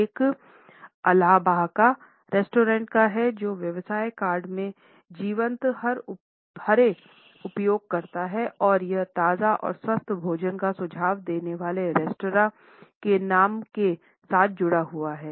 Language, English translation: Hindi, One is of the business card for Albahaca restaurant which uses vibrant green and it is associated with the restaurants namesake hub suggesting fresh and healthy food